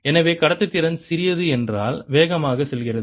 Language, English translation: Tamil, so a smaller the conductivity, faster it goes